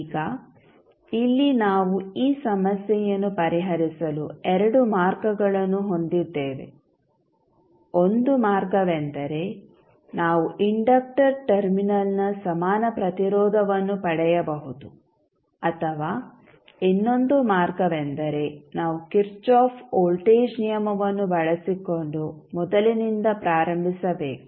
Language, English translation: Kannada, Now, here we have two ways to solve this problem, one way is that we can obtain the equivalent resistance of the inductor terminal, or other way is that, we start from scratch using Kirchhoff voltage law